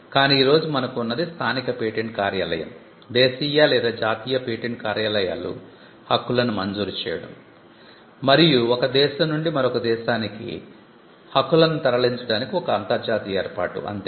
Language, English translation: Telugu, But all that we have today is local rights granted by the local patent office, Domestic or National Patent Offices granting the rights; and some kind of an international arrangement to facilitate rights moving from one country to another